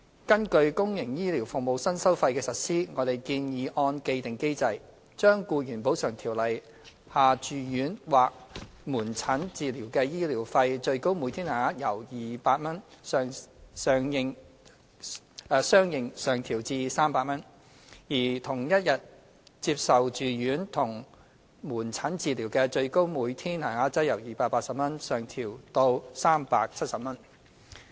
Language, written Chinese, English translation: Cantonese, 根據公營醫療服務新收費的實施，我們建議按既定機制，將《僱員補償條例》下住院或門診治療的醫療費最高每天限額由200元相應上調至300元，而同一天接受住院及門診治療的最高每天限額則由280元相應上調至370元。, Based on the new fees and charges for public health care services we propose to correspondingly increase the maximum daily rate of medical expenses for inpatient or outpatient treatment under the Ordinance from 200 to 300 and that for inpatient and outpatient treatment received on the same day from 280 to 370 in accordance with the established mechanism